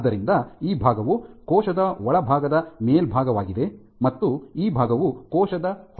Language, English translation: Kannada, So, this portion is the top of the inside of the cell, and this portion is the outside of the cell